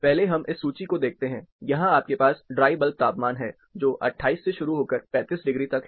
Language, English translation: Hindi, First let us like, take a look at this first table; here you have dry bulb temperatures, starting from 28 to 38 degrees